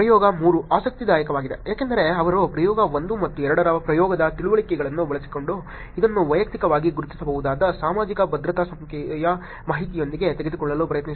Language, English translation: Kannada, Experiment 3 is interesting because they actually tried using the experiment understandings from experiment 1 and 2 to take this personally identifiable with information likes Social Security Number